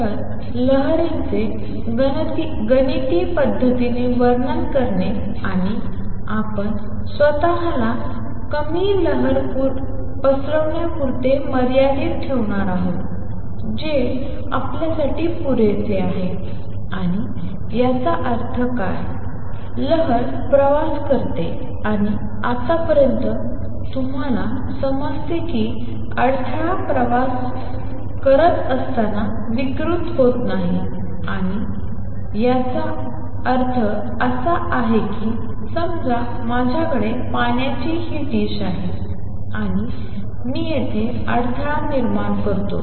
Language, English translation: Marathi, So, describing waves mathematically and we are going to restrict ourselves to dispersion less waves that is suffice for us and what; that means, as the wave travels and by that now you understand as the disturbance travels it does not get distorted and what; that means, is suppose I have this dish of water and I create a disturbance in at